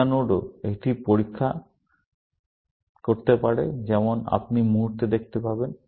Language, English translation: Bengali, Beta node also, may do a test as you will see in the moment